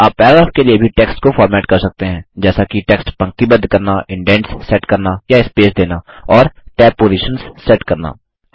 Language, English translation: Hindi, You can also format text for Paragraph, that is align text, set indents or spacing and set tab positions